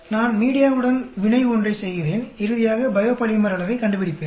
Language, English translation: Tamil, I do the reaction with the media one and finally find out the biopolymer quantity